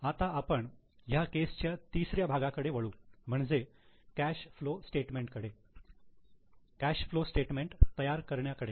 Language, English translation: Marathi, Now let us go to the third part of the case that is for preparation of cash flow statement